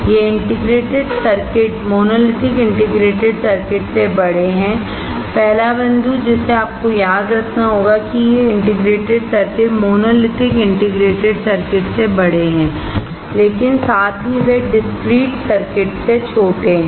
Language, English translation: Hindi, These integrated circuits are larger than monolithic integrated circuits; first point that you have to remember is these integrated circuits are larger than monolithic integrated circuits, but at the same time they are smaller than the discrete circuits